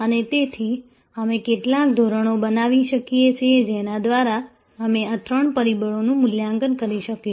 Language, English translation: Gujarati, And therefore, we may create some standards by which we will be able to evaluate these three factors